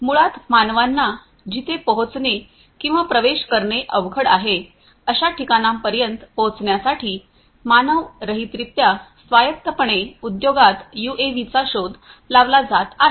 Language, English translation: Marathi, UAVs are being explored in the industry to autonomously in an unmanned manner to reach out to places, which are basically difficult to be reached or accessible by humans